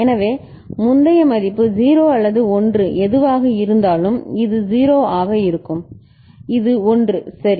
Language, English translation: Tamil, So, whatever be the previous value 0 or 1 this will be 0 and this is 1 ok